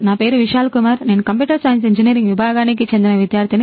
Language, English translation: Telugu, My name is Vishal Kumar from Computer Science and Engineering department